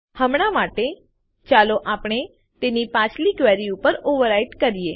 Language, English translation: Gujarati, For now, let us overwrite it on the previous query